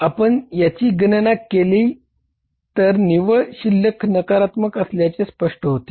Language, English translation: Marathi, So if you calculate this, the net balance comes out to be negative